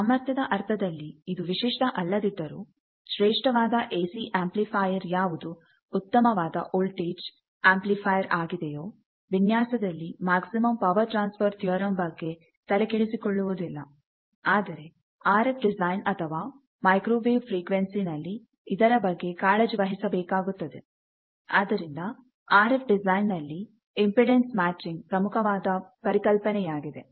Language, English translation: Kannada, So, even if it is not optimum in the power sense, the design of AC amplifier which is a classic, very good amplifier voltage amplifier sort of thing here we do not pay heat to the maximum power transfer theorem, whereas, in an RF frequency or microwave frequency you are bound to pay this attention that is why impedance matching is an important concept for RF design and we will have special lectures for tackling how to do those impedance matching